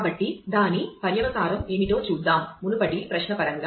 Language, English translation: Telugu, So, let us see what is a consequence of that; in terms of the earlier query